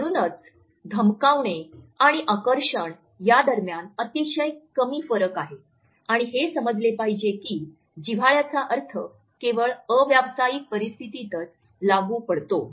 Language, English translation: Marathi, So, there is a very thin line which exist between intimidation and attraction and we have to understand that the connotations of the intimacy are passed on only in non professional situations